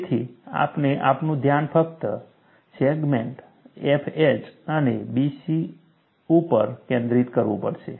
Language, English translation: Gujarati, So, we have to focus our attention only on the segment F H and B C